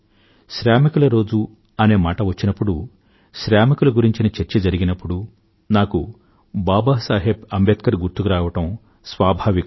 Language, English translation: Telugu, And when 'Labour Day' is referred to, labour is discussed, labourers are discussed, it is but natural for me to remember Babasaheb Ambedkar